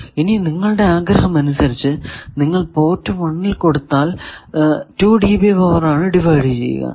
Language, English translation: Malayalam, Now, depending on your wish if you give it at port 1 you can get that the 2 dB divided powers they are at equal phase